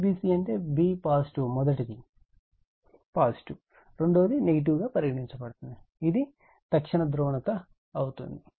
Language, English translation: Telugu, V b c means b positive 1st one is positive, 2nd one is negative right, this instantaneous polarity